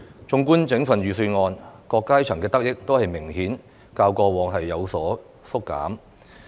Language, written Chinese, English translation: Cantonese, 綜觀整份預算案，各階層的得益都較過往明顯有所縮減。, As far as the whole Budget is concerned it is clear that people from all walks of life are given fewer benefits than before